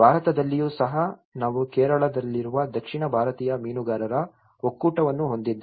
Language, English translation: Kannada, Even in India, we have the South Indian Fishermen Federation which is in Kerala